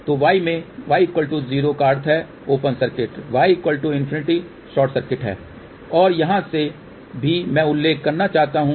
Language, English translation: Hindi, So, in y, y equal to 0 implies open circuit, y equal to infinity implied short circuit and from here also I want to mention